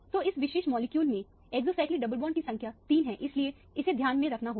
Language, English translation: Hindi, So, the number of exocyclic double bonds in this particular molecule is 3, so that has to be kept in mind